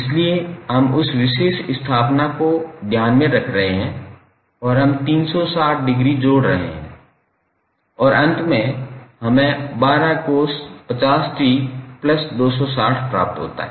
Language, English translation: Hindi, So we are taking that particular establishment into the consideration and we are adding 360 degree and finally we get 12 cost 50 t plus 260